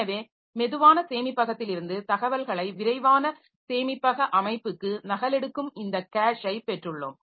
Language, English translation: Tamil, And so we'll also be using the concept of caching for copying, for copying information from slow storage into fast storage